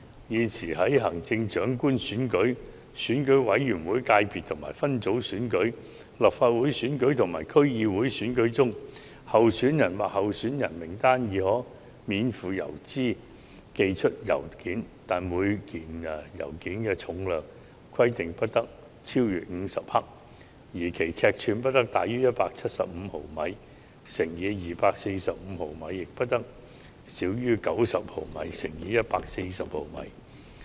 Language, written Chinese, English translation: Cantonese, 現時，在行政長官選舉、選舉委員會界別分組選舉、立法會選舉及區議會選舉中，候選人或候選人名單已可免付郵資寄出信件，但每封信件重量不得超逾50克，尺寸不得大於175毫米乘以245毫米，亦不得小於90毫米乘以140毫米。, At present a letter may be sent free of postage by a candidate or a list of candidates in the Chief Executive Election Committee subsector Legislative Council and DC elections but each letter must not exceed 50 grams in weight and must not be larger than 175 mm x 245 mm and not smaller than 90 mm x 140 mm in size